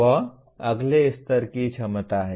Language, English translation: Hindi, That is the next level capacity